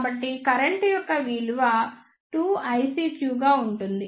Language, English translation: Telugu, So, this value of the current will be 2 I CQ